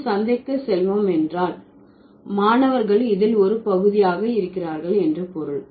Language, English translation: Tamil, So, we will go to the market means the students are also going to be a part of this we